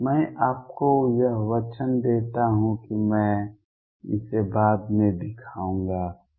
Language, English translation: Hindi, Let me give that statement to you and I will show it later